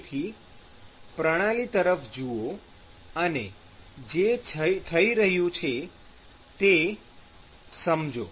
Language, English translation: Gujarati, So, look at the system and intuit what is happening here